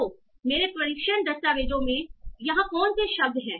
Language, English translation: Hindi, So what are the words here in my test document